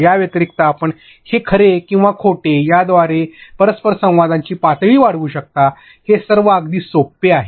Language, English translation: Marathi, But other than that you can like increase the interactivity level true or false, all of these are very simple